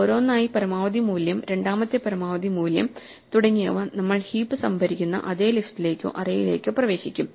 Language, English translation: Malayalam, So, one by one the maximum value, second maximum value and so on will get into the same list or array in which we are storing the heap and eventually the heap will come out in ascending order